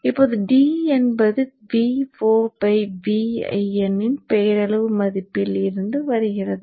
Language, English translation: Tamil, Now D is coming from V0 by V in nominal value